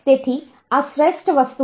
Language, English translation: Gujarati, So, this is the best thing